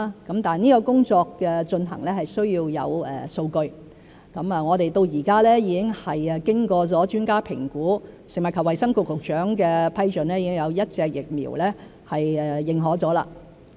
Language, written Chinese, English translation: Cantonese, 這項工作的進行是需要有數據，到目前，我們已經有一款疫苗經過專家評估和食物及衞生局局長批准後獲得認可。, In this way peoples confidence can be bolstered . Implementation of such work requires data . So far we have a vaccine that has been authorized upon evaluation by advisers and approval by the Secretary for Food and Health